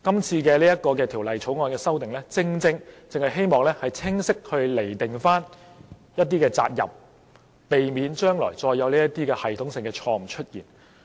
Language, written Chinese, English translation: Cantonese, 這項《條例草案》的修訂，正正希望清晰釐定一些責任，避免將來再出現類似的系統性錯誤。, In this Bill the amendments proposed actually seek to clarify some obligations to prevent similar systemic errors from happening again